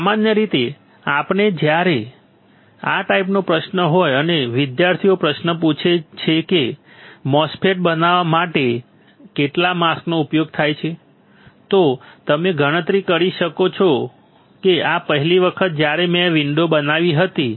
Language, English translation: Gujarati, What we will do is generally when this kind of question is there and students ask question, how many masks are used for fabricating a MOSFET, then you calculate oh this was first time I create a window